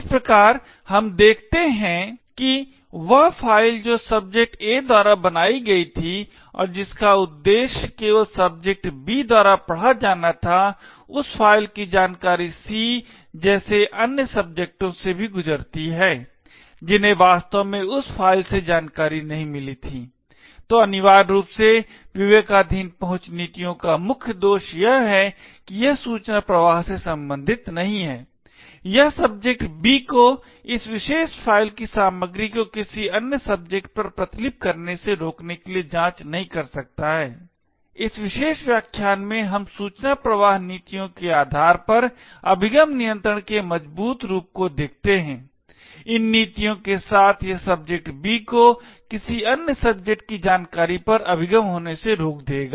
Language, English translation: Hindi, Thus what we see is that the file which was created by subject A and meant to be read only by subject B the information in that file also passes to other subjects like C who was not supposed to have actually got the information from that file, so essentially the main drawback of discretionary access policies is that it is not concerned with information flow, it cannot do checks to prevent subject B from copying the contents of this particular file to another subject, in this particular lecture we look at the stronger form of access control based on information flow policies, with these policies it will prevent subject B from passing on the information to any other subject